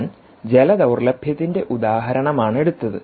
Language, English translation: Malayalam, i just took an example of water stress